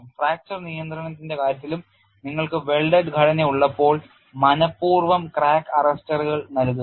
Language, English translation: Malayalam, And also in the case of fracture control, when you are having welded structures, provide deliberate crack arrestors